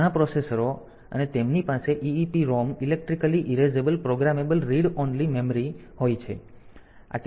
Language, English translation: Gujarati, So, many processors and they had got they have got e EEPROM electrically erasable programmable read only memory